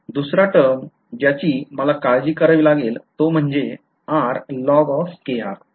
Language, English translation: Marathi, Then the other term that I have to worry about is integral of r log k r ok